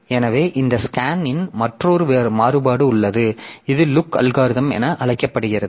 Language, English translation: Tamil, So, so there is another variant of this scan which is known as the look algorithm